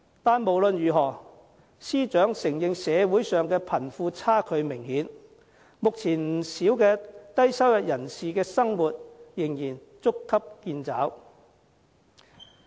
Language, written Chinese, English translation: Cantonese, 但是，無論如何，司長承認社會上貧富差距明顯，目前不少低收入人士的生活仍然捉襟見肘。, But in any event the Financial Secretary admits that the wealth gap in society is notable and that some low - income earners still find it hard to make ends meet